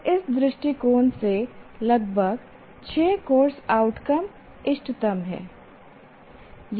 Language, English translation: Hindi, So from that perspective, as I said, around six course outcomes is the optimal one